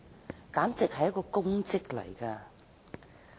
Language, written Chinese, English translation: Cantonese, 這簡直是一項功績。, It would be an achievement for her